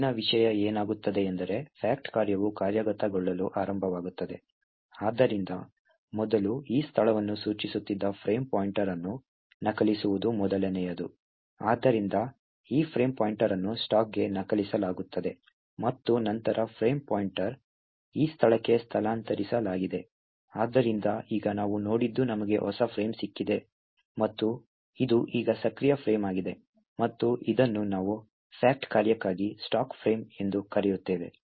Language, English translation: Kannada, The next thing, what happens is that the fact function starts to execute, so the first thing that the occurs is to copy the frame pointer which was previously pointing to this location, so this frame pointer gets copied onto the stack and then the frame pointer is moved to this location, so now what we have seen is that we have got a new frame and this is now the active frame and it is we call it as the stack frame for the fact function